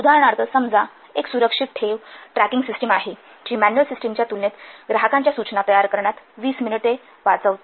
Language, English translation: Marathi, For example, suppose there is a safe deposit tracking system that saves 20 minutes preparing customer notices compared with the manual system